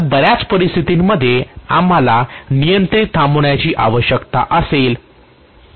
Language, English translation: Marathi, So in many situations, we will require controlled stopping